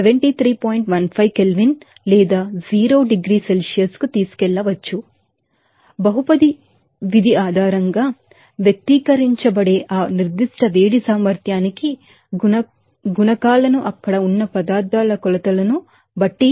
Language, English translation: Telugu, 15 Kelvin or 0 degree Celsius there and the coefficients for that specific heat capacity which are expressed based on polynomial function is that is, depending on that measure of substances there